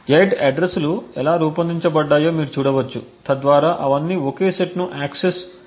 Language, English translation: Telugu, You can see how the 8 addresses are crafted, so that all of them would access exactly the same set